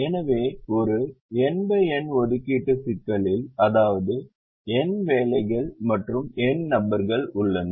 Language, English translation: Tamil, so in a n by n assignment problem, which means there are n jobs and n people